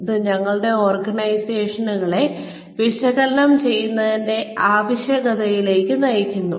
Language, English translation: Malayalam, This in turn, leads to a need to analyze our organizations